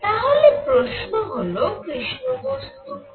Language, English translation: Bengali, So, question is; what is a black body